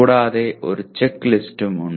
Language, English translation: Malayalam, In addition, there is also a checklist